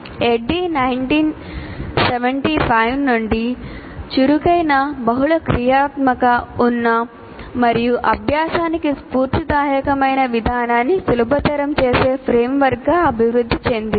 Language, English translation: Telugu, ADE evolved since 1975 into a framework that facilitates active, multifunctional, situated, and inspirational approach to learning